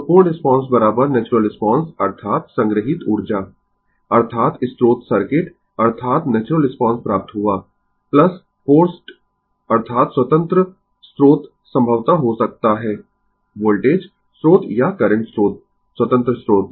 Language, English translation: Hindi, So, complete response is equal to natural response that is stored energy, that is your source the circuit that is the natural response we got plus forced, that is independent source may be voltage source or current source independent source, right